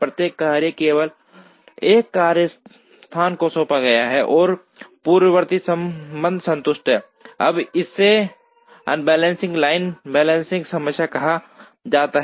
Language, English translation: Hindi, Each tasks is assigned to only one workstation and the precedence relationships are satisfied; now this is called the assembly line balancing problem